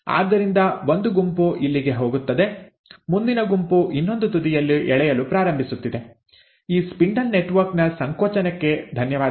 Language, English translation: Kannada, So one set goes here, the next set is starting to get pulled apart at the other end, thanks to the contraction of this spindle network